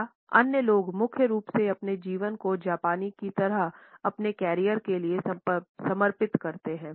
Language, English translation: Hindi, Or others mainly dedicate their lives for their career like the Japanese